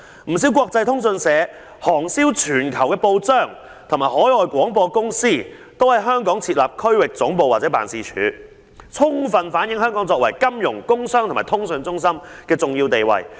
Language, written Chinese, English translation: Cantonese, 不少國際通訊社、行銷全球的報章和海外廣播公司都在香港設立區域總部或辦事處......充分反映香港作為金融、工商和通訊中心的重要地位"。, Many international news agencies newspapers with worldwide circulation and overseas broadcasting companies use Hong Kong as their regional headquarters or set up offices here a strong reflection of Hong Kong as a centre for finance business and communication